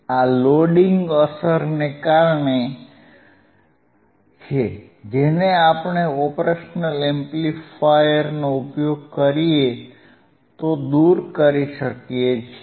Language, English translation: Gujarati, Since, loading effect, which we can remove if we use the operational amplifier if we use the operational amplifier that